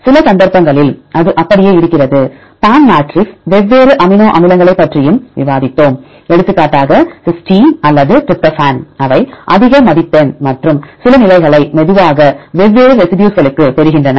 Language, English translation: Tamil, Some cases it remains the same, the PAM matrix also we discussed about the different amino acids right for example, cysteine or tryptophan, they get the high score and some positions which slowly to the different residues